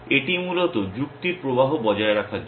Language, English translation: Bengali, It is to kind of maintain of flow of reasoning essentially